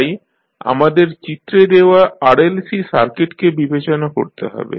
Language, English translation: Bengali, So, let us consider the RLC circuit which is given in the figure